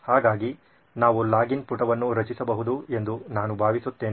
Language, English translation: Kannada, So I think we can create a login page